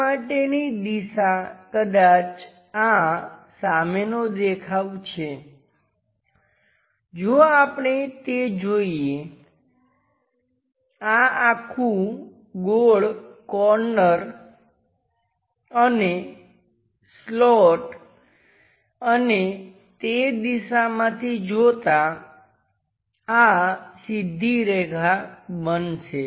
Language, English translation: Gujarati, The direction for this perhaps this is the front view if we are looking that, this entire round corner and the slant one and this one in the view direction makes a straight line